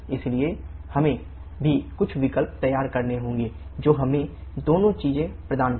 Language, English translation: Hindi, So we also have to devise some option which gives us both things